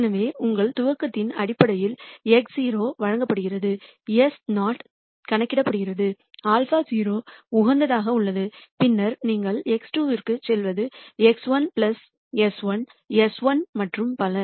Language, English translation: Tamil, So, x naught is given based on your initialization, s naught is calculated, alpha naught is optimized for, then you go on to x 2 is x 1 plus alpha 1 s 1 and so on